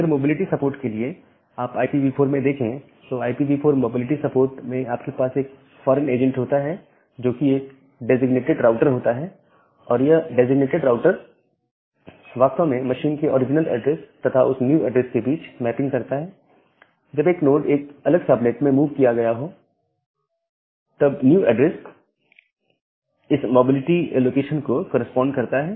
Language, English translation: Hindi, So, if you look into the IPv4 for mobility support, in IPv4 mobility support you have a foreign agent, that is a designated router and that designated router will actually make a mapping between the original address of the machine and the when the node has moved to a different subnet the new address corresponds to this mobility location